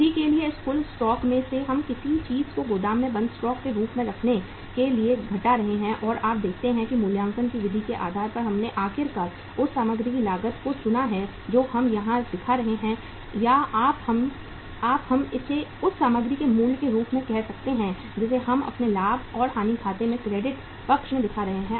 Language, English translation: Hindi, Out of this total stock for the sales we are subtracting something to be kept in the warehouse as a closing stock and you see that the depending upon the method of valuation we have chosen the finally the cost of that material which we are showing here or you can call it as the value of the material we are showing in our profit and loss account credit side you see that the value is different